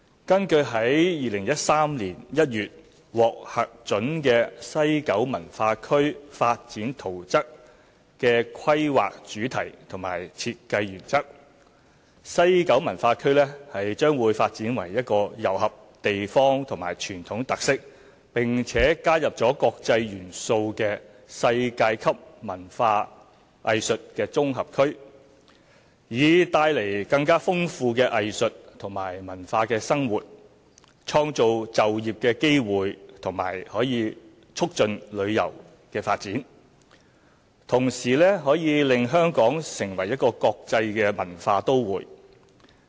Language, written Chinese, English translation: Cantonese, 根據2013年1月獲核准的西九文化區發展圖則的規劃主題與設計原則，西九文化區將發展為一個糅合地方與傳統特色，並且加入國際元素的世界級文化藝術綜合區，以帶來更豐富的藝術和文化生活，創造就業機會並促進旅遊的發展，同時可以令香港成為國際文化都會。, According to the Planning Themes and Design Principles of the Development Plan approved in January 2013 WKCD is to be developed into a world - class integrated arts and cultural district comprising local traditional as well as international elements to enrich the arts and cultural life to create job opportunities and benefit the tourism industry and to make Hong Kong an international cultural metropolis